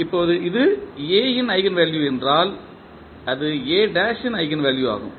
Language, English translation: Tamil, Now, if this is an eigenvalue of A then it will also be the eigenvalue of A transpose